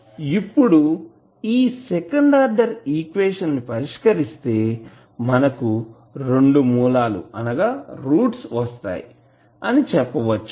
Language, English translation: Telugu, Now, if you see this is second order equation solve you will say there will be 2 roots of this equation